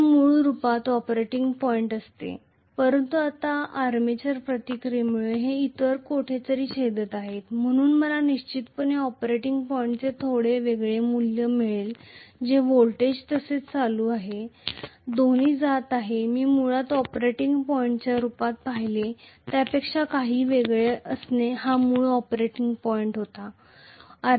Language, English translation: Marathi, This would have been the operating point originally, but now because of the armature reaction they are intersecting somewhere else, so I am definitely going to have a little different value of the operating point that is the voltage as well as the current, both are going to be somewhat different as compared to what actually I visualised originally as the operating point